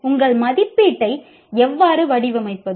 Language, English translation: Tamil, How do you design your assessment